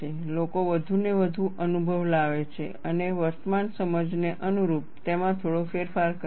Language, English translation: Gujarati, People bring in more and more experience and slightly modify it, to suit current understanding